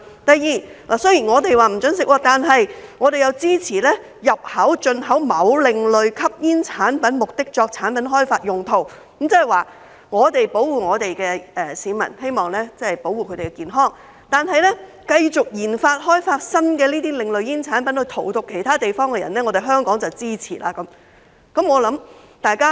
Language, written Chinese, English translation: Cantonese, 第二，雖然香港禁止吸食，但我們支持入口及進口某另類吸煙產品作產品開發用途，換言之，我們保護我們的市民，希望保護他們的健康，但卻繼續研發、開發新的另類煙產品來荼毒其他地方的人，這樣香港便支持。, Second while the consumption of such products is to be banned in Hong Kong we support the import of an alternative smoking product for product development purpose . In other words we would protect our people with the hope of safeguarding their health but when it comes to the ongoing research and development RD of novel alternative tobacco products to do harm to people in other places Hong Kong would support it